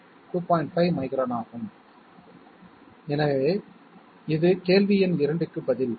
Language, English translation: Tamil, 5 microns, so this is the answer to question number 2